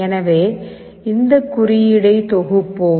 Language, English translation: Tamil, So, let us compile this code